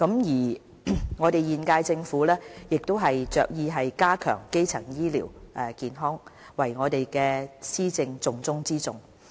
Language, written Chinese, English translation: Cantonese, 現屆政府着意加強基層醫療健康作為我們施政的重中之重。, Hence the strengthening of primary health care has become a top priority of the current - term Government